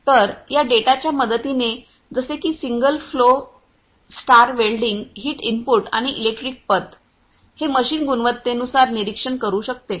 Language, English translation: Marathi, So, with the help of these data such as the single flow stir welding heat input and electric path and electric path this machine can monitor given a quality